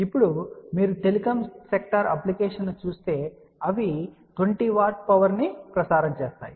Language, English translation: Telugu, Now supposing that if you look at a telecom sector application where they are transmit about 20 watt of power